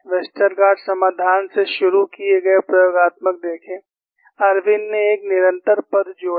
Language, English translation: Hindi, See, the experimental is started from a Westergaard solution; Irwin added a constant term